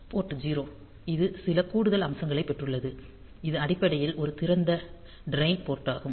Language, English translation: Tamil, Port 0; so, it has got some additional feature, so this is basically an open drain port